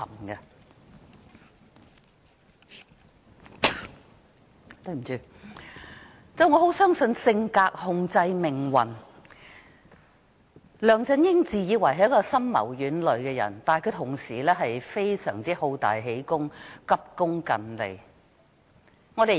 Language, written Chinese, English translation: Cantonese, 我非常相信性格控制命運，梁振英自以為深謀遠慮，但其實他亦是一個好大喜功、急功近利的人。, I firmly believe that a persons fate is decided by his character . LEUNG Chun - ying always prides himself on being farsighted and prudent but in fact he is just a shortsighted person who craves for glory